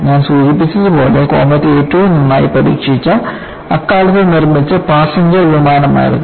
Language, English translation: Malayalam, As I mentioned, comet was the most thoroughly tested passenger plane, ever built at that time